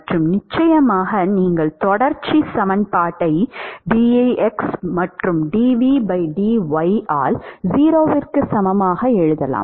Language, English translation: Tamil, These are the four balances and of course, you can write continuity equation that is du by dx plus dv by dy that is equal to 0